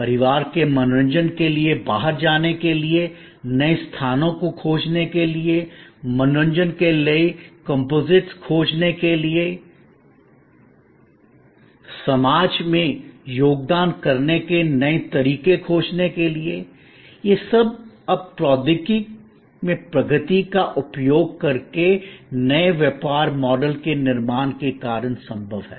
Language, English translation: Hindi, To find new places to go out to for a family entertainment, to find new composites for entertainment, finding new ways to contribute to society, all that are now possible due to creation of new business models using advances in technology